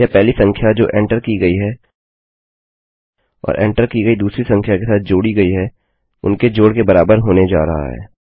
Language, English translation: Hindi, Thats going to be equal to the first number which was entered and added to the second number which was entered